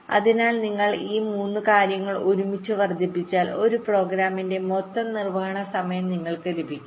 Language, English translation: Malayalam, so if you multiple this three thing together, you get the total execution time for a program